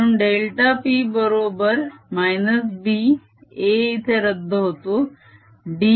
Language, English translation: Marathi, so delta p is given as minus b, a cancels here by d x